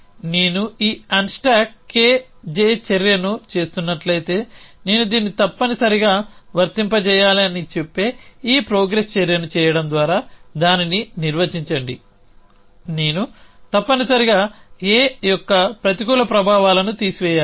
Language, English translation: Telugu, Define it by doing this progress action which says that if I am doing this unstack K J action I must apply this I must remove the negative effects of A